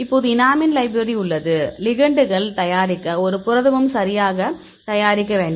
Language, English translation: Tamil, So, now we have the enamine library; to prepare the ligands and you have the protein